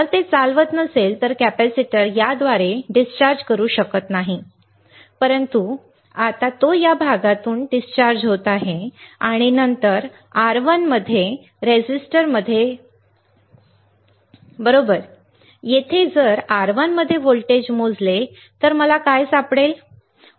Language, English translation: Marathi, If it is not conducting capacitor cannot discharge through this, but now it is the discharging through this part and then in the resistor across R1, right, here if I measure voltage across R 1, what will I find